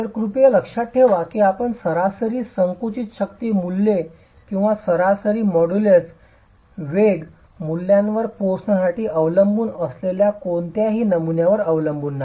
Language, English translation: Marathi, So please keep in mind that it is not one single specimen that you are depending on for arriving at these average compressive strength values or the average model's velocity values